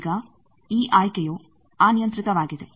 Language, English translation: Kannada, Now this choice is arbitrary